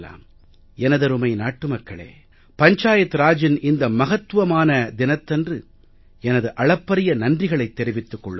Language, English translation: Tamil, My dear fellow citizens, I will surely meet you all once in the evening on this important occasion of Panchayati Raj Divas today